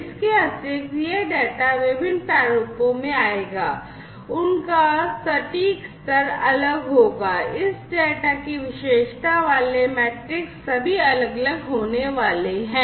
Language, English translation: Hindi, Additionally, this data will come in different formats their precision levels will be different; the metrics that characterize this data are going to be all different and so on